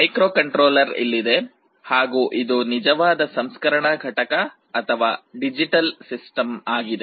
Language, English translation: Kannada, The microcontroller can be sitting here, this is the actual processing unit or digital system